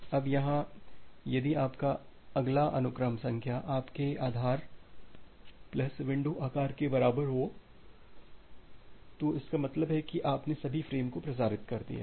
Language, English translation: Hindi, Now, here if your next sequence number if your next sequence number becomes equal to your base plus window size: that means, you have transmitted all the frame